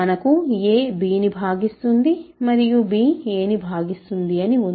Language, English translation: Telugu, So, we have a divides b and b divides a